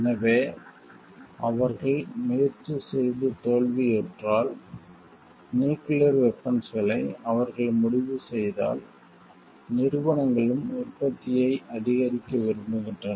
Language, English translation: Tamil, So, if they have tried and failed and then maybe they decide on the nuclear weapons and the companies also want to shoot up the production